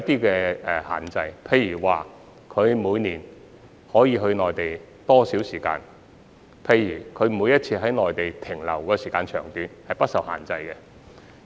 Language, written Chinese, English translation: Cantonese, 舉例而言，這些車輛每年可以前往內地多少時間，以及每次在內地逗留多久等，均不受限制。, For instance there are no restrictions on the duration that these vehicles can travel to the Mainland each year as well as their length of stay in the Mainland on each occasion etc